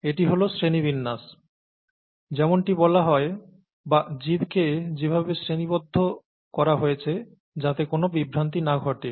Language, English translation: Bengali, This is the taxonomy, as it is called, or the way organisms are classified so that there is no confusion